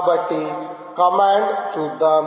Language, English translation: Telugu, so let us see the command